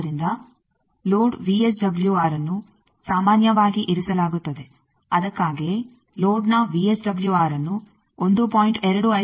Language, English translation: Kannada, So, load VSWR is generally kept that is why it is our drive to keep the VSWR of the load within 1